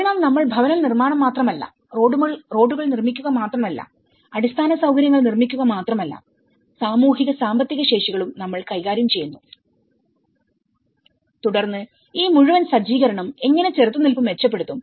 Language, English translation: Malayalam, So, it is not just only we build the housing and we are not only building the roads, we are not only building the infrastructure but we are also dealing with the capacities you know, of social, economic and then how this whole setup will also improve resilience